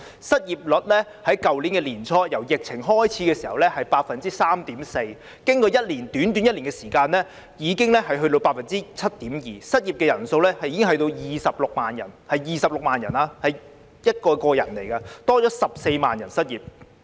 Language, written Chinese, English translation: Cantonese, 失業率由去年年初疫情開始時的 3.4%， 經過短短1年的時間已經達到 7.2%； 失業人數已達26萬人，是26萬人，他們是一個個人來的，多了14萬人失業。, The unemployment rate has risen from 3.4 % at the beginning of last year when the epidemic broke out to 7.2 % in merely one year and the number of people being unemployed has reached 260 000 . It is 260 000 they are individual people an additional of 140 000 people have become unemployed